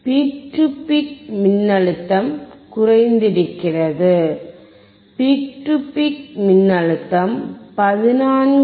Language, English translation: Tamil, Peak to peak voltage is decreased, you see peak to peak is 14